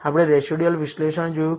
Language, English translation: Gujarati, We looked at residual analysis